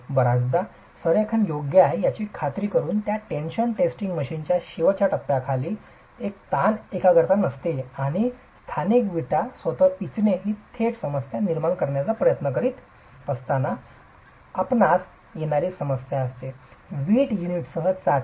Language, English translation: Marathi, Very often ensuring that the alignment is right, ensuring that under the gripping ends of this tension testing machine you don't have stress concentration and crushing locally of the bricks itself are problems that you will have when you are trying to carry out a direct tension test with brick units